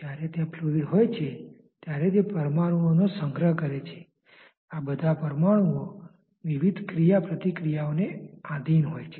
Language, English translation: Gujarati, When there is a fluid it is a collection of molecules after all and these molecules are subjected to various interactions